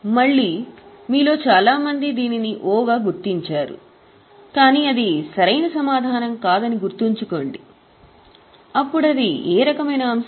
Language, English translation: Telugu, Again, many of you would have marked it as O but keep in mind that is not the correct answer